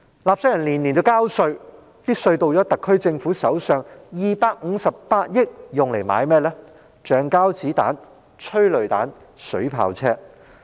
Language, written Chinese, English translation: Cantonese, 納稅人每年繳交稅款，稅款落入特區政府手上後，這258億元卻花在購買橡膠子彈、催淚彈、水炮車之上。, Taxpayers are required to pay tax every year but the SAR Government chooses to spend 25.8 billion of the tax money collected on the procurement of rubber bullets tear gas canisters and water cannon vehicles